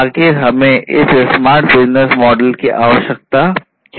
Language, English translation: Hindi, Why do we need a smart business model